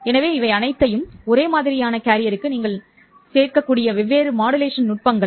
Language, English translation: Tamil, So these are all the different modulation techniques with which you can play around for a single carrier